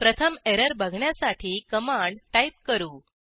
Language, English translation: Marathi, We will type a command to see the error first